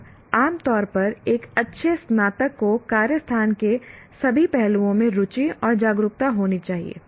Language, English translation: Hindi, And generally a good graduate should have interest and awareness in all facets of the workspace that you are involved